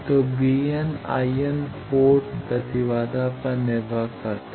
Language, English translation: Hindi, So, V n i n depend on port impedance